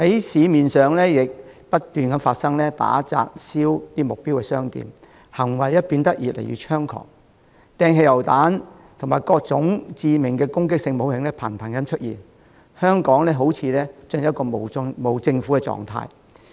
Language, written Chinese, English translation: Cantonese, 此外，他們不斷在市面上打、砸、燒目標商店，行為變得越來越猖狂，頻頻用上汽油彈，以及各種致命的攻擊性武器，香港好像進入了無政府狀態。, Moreover they vandalize wreck and set fire on target shops in the streets incessantly; and as their activities are getting increasingly outrageous they frequently use petrol bombs and all sorts of lethal offensive weapons . Hong Kong looks as if an anarchist state